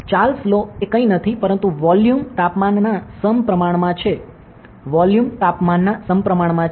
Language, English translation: Gujarati, So, Charles law is nothing, but volume is directly proportional to the temperature ok, volume is directly proportional to the temperature